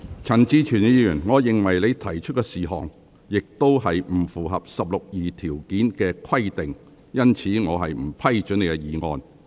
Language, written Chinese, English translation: Cantonese, 陳志全議員，我認為你提出的事項，亦不符合《議事規則》第162條的規定，因此我不批准你的議案。, Mr CHAN Chi - chuen I think the issue you raised is also not in compliance with the requirements set out in Rule 162 of the Rules of Procedure . Hence your motion is rejected